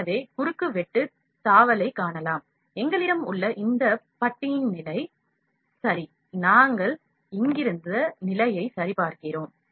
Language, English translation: Tamil, So, we can just to in view cross section tab, we have this bar position, ok, we are checking the position from here